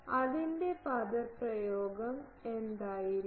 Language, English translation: Malayalam, What will be its expression